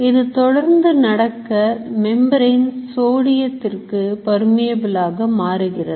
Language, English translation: Tamil, There is a change in the permeability of the membrane to sodium